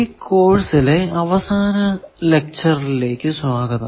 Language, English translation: Malayalam, Welcome to the last lecture of this course